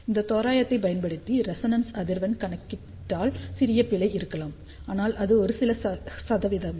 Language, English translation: Tamil, There may be small error in calculating the resonance frequency using this approximation, but you will see that it is within a few percentage